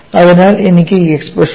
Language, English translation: Malayalam, You have the expressions before you